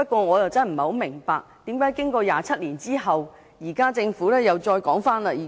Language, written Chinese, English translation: Cantonese, 我不明白為何經過27年，政府現時又再次重提。, I do not understand why after 27 years the Government revisits the same thing yet again